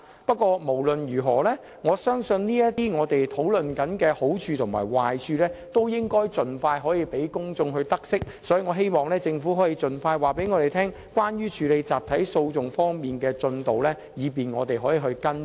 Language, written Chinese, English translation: Cantonese, 不過，無論如何，我相信這些正在討論的好處和壞處均應盡快讓公眾知悉，所以希望政府可盡快向我們交代處理引入集體訴訟的工作的進度，以便我們可以作出跟進。, Anyway I think the public should know of all these pros and cons as soon as possible . I therefore hope that the Government can tell us the progress of its work on introducing a class action regime as soon as possible so that we can follow up on the issue